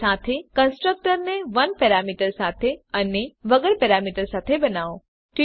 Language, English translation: Gujarati, Also create a constructor with 1 and no parameters